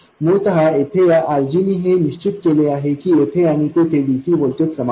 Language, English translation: Marathi, Essentially this RG putting it here, make sure that the DC voltage here and there are the same